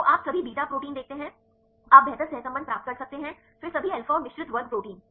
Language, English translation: Hindi, So, you see all beta proteins right you can a get better correlation then the all alpha and the mixed class proteins